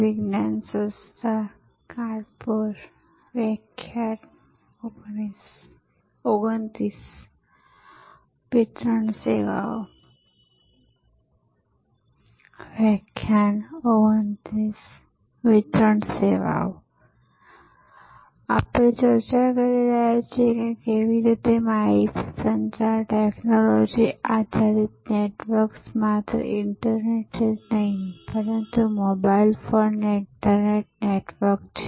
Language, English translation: Gujarati, We are discussing how information communication technology based networks, not only the internet, but mobile phone network or mobile internet